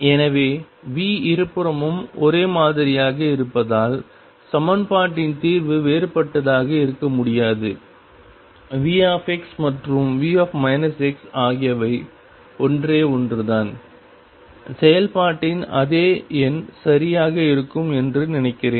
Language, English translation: Tamil, So, since V is the same on the both sides the solution of the equation cannot be different write V x and V minus x are one and the same, think there will be exactly the same number as the function of